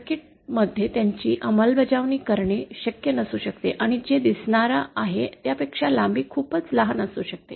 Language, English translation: Marathi, It might not be possible to implement them in a circuit and also the lengths might be too small then that what is feasible